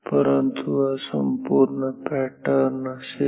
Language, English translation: Marathi, So, this is this will be the complete pattern